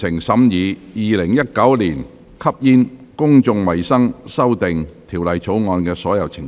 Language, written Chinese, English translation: Cantonese, 全體委員會已完成審議《2019年吸煙條例草案》的所有程序。, All the proceedings on the Smoking Amendment Bill 2019 have been concluded in committee of the whole Council